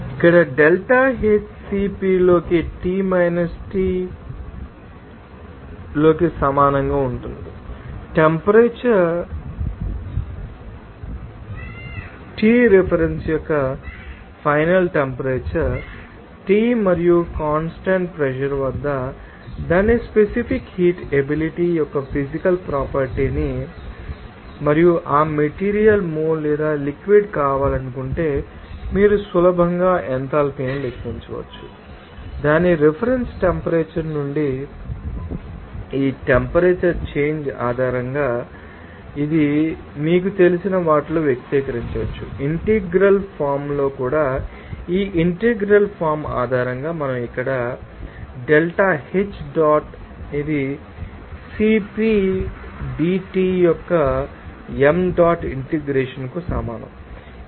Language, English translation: Telugu, Here delta H will be equal to m into CP into T minus Treference here, Suppose the temperature is increasing from Treference to that you know, a final temperature of T and if you know the material property of its specific heat capacity at constant pressure and also want to be the mole or mass of that materials then you can easily calculate enthalpy change based on this temperature change from its reference temperature and this you can express these in you know, in integral form also based on this integral form we can write here delta H dot that will be equal to m dot integration of CP dT